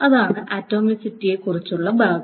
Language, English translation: Malayalam, So that's the part about atomicity